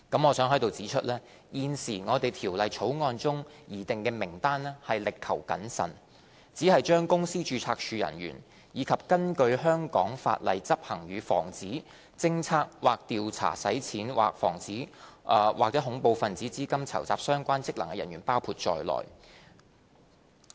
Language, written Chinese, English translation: Cantonese, 我想在此指出，現時《條例草案》中擬訂的名單已力求謹慎，只把公司註冊處人員，以及根據香港法例執行與防止、偵測或調查洗錢或恐怖分子資金籌集相關職能的人員包括在內。, I wish to point out here that the list set out in the current Bill has been carefully crafted to include only officers of the Companies Registry and those officers who perform functions under the law of Hong Kong that are related to the prevention detection or investigation of money laundering or terrorist financing